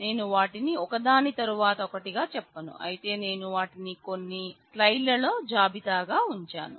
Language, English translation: Telugu, So, I will not go through them one by one, but I have put them as a list in the couple of slides